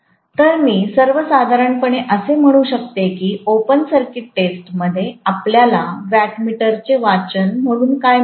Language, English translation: Marathi, So, I can say in general that in open circuit test what we get as the wattmeter reading